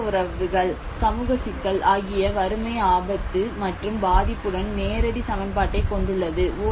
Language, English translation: Tamil, The social relationships; the social complexities, the poverty, poverty has a direct equation with the disaster risk and the vulnerability